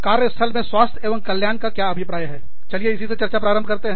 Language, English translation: Hindi, Let us start, by discussing, what we mean by, health and well being in the workplace